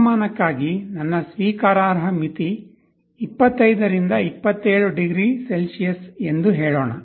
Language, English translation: Kannada, Like let us say, for temperature you may say that my acceptable limit is 25 to 27 degree Celsius